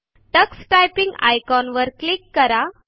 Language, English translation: Marathi, Click the Tux Typing icon